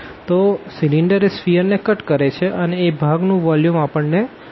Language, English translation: Gujarati, So, the sphere is the cylinder is cutting the sphere and that portion we want to find the volume